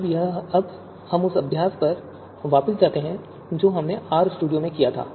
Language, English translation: Hindi, Now we go back to the exercise that we had exercise that we had done in RStudio